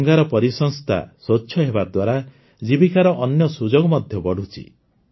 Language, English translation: Odia, With Ganga's ecosystem being clean, other livelihood opportunities are also increasing